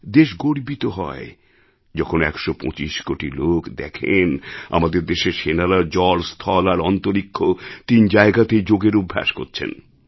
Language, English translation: Bengali, It is a matter of great pride for a hundred & twenty five crore people to witness members of our armed forces perform yoga on land, sea & sky